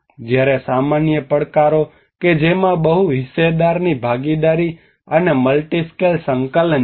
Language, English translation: Gujarati, Whereas the common challenges which has a multi stakeholder participation and multi scale coordination